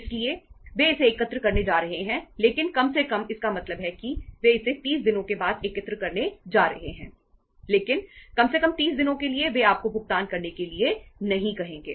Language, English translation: Hindi, So they are going to collect it but at least means they are going to collect it for after 30 days but at least for 30 days they are not going to ask you to make the payment